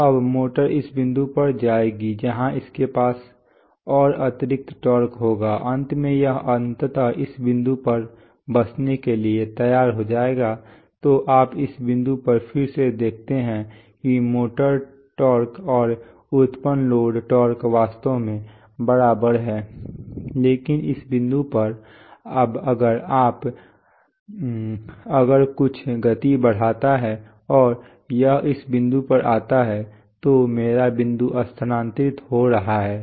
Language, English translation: Hindi, So now the motor will go to this point, where it has further extra torque then it will come to, finally it will eventually set to settled at this point, so you see at this point again the motor torque generated torque is actually equal to the load torque, but at this point, now if you, if something increases the speed and it comes to this point, my dot is getting shifted